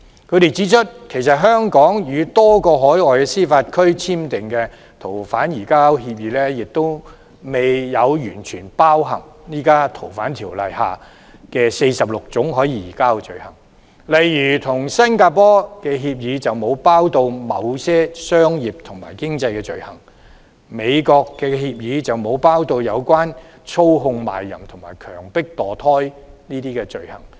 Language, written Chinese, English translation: Cantonese, 他們指出，香港與多個海外司法管轄區簽訂的逃犯移交協定，亦未有完全包含現時《逃犯條例》下46種可以移交的罪類，例如跟新加坡的協定便沒有包括某些商業和經濟罪類，與美國的協定則沒有包括操控賣淫和強迫墮胎等罪類。, They have pointed out that the SFO agreements entered into between Hong Kong and many overseas jurisdictions have not covered all 46 items of extraditable offences under the current Fugitive Offenders Ordinance . For example the agreement with Singapore does not cover certain items of commercial and economic offences while the agreement with the United States does not cover items of offences relating to controlling of prostitution and forced abortion